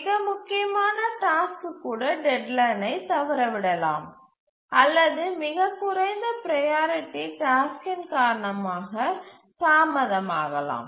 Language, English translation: Tamil, Even the most important task can miss a deadline because a very low priority task it just got delayed